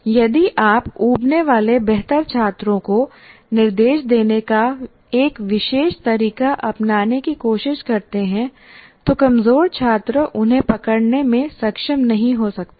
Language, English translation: Hindi, Because if you try to take one particular way of instructing, better students may get bored, weak students may not be able to catch them